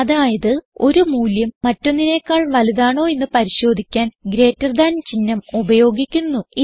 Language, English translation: Malayalam, This way, the greater than symbol is used to check if one value is greater than the other